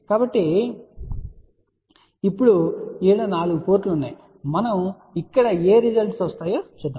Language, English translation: Telugu, So, now, there are these 4 ports are there let us see what results we get over here